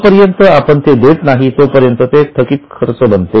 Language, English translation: Marathi, Till the time it is paid it becomes outstanding expense